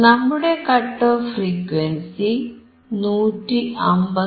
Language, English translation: Malayalam, So, still the cut off frequency is 159